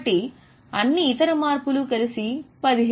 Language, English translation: Telugu, So, all other changes together was 1,700